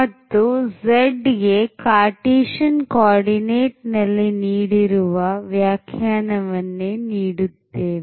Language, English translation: Kannada, So, z is precisely the same which was in Cartesian coordinate